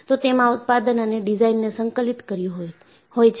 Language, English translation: Gujarati, You have integrated manufacturing and design